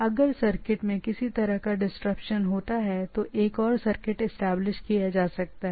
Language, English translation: Hindi, So the circuit once they are if there is disruption or some other reason there can be another circuits can be established